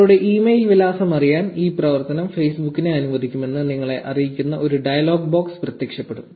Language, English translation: Malayalam, A dialogue box will appear informing you that this action will allow Facebook to get to know your email address